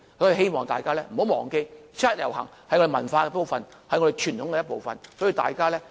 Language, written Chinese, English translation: Cantonese, 因此，希望大家不要忘記，七一遊行是我們的文化和傳統的一部分，所以，大家記得，七一維園見。, Therefore I hope people will not forget that the 1 July march is part of our culture and tradition . So remember to join in and see you all in Victoria Park